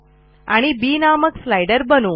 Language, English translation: Marathi, We make another slider b